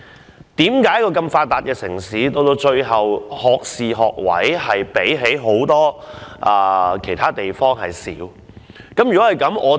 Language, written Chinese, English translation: Cantonese, 為何一個如此發達的城市，我們的學士學位比其他很多地方少？, We are such a well - developed city . Why do we have far less bachelors degree quotas than many other places?